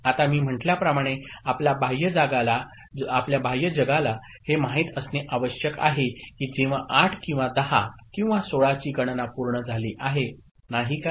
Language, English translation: Marathi, Now as I said we the external world needs to know that when that count of 8 or 10 or 16 has been completed, isn't it